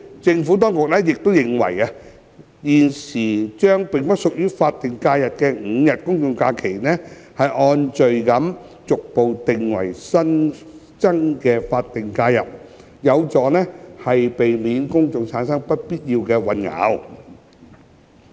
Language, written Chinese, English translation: Cantonese, 政府當局亦認為，將現時並不屬於法定假日的5日公眾假期按序逐步訂為新增的法定假日，有助避免公眾產生不必要的混淆。, The Administration further advised that designating the five days of GHs that are currently not SHs as additional SHs in a progressive and orderly manner would help avoid unnecessary confusion to the public